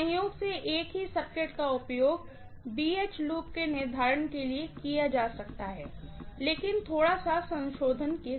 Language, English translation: Hindi, Incidentally the same circuit can be used for determining BH loop but with a little bit of modification